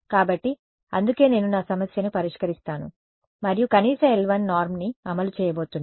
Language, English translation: Telugu, So, that is why I am going to solve my problem and enforce minimum l 1 norm